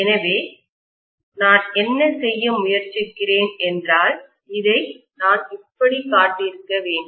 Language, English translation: Tamil, So what I am trying to do is, I am sorry, I should have shown this like this